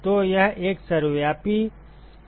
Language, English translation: Hindi, So, this is a ubiquitous representation